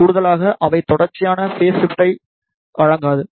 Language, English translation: Tamil, Additionally, they do not provide the continuous phase variation